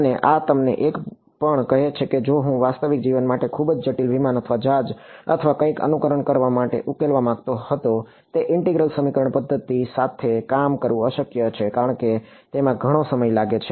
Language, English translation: Gujarati, And, this also tells you that if I wanted to simulate and solve for a real life very complicated aircraft or ship or something, integral equation methods they are just impossible to work with because they take so, much time order n cube versus order n